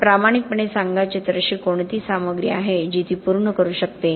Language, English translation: Marathi, But to be honest what are the materials is there that can fulfill those